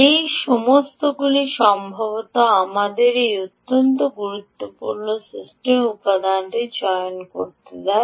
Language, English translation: Bengali, all of this will perhaps allow us to choose this very important ah system, ah system component